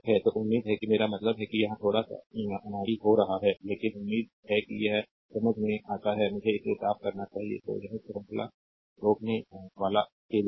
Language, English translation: Hindi, So, hopefully ah ah I mean here little bit becoming clumsy, but hopefully it is understandable to you so, let me clean it, right so, this is for series series resistor